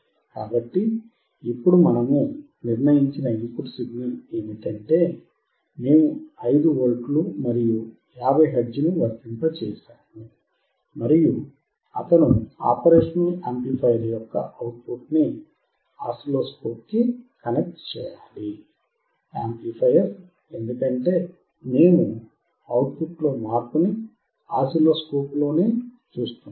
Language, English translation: Telugu, So now, the input signal that we have decided is, we had to apply 5V and 50 hertz and he has to also connect the output of the operational amplifier to the oscilloscope, because we are looking at the change in the output on the oscilloscope